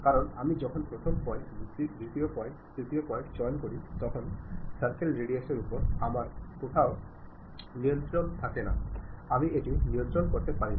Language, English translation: Bengali, Because when I pick first point, second point, third point, I do not have any control on what should be the radius I cannot control it